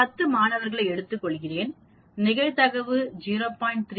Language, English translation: Tamil, I take 10 students, the probability is 0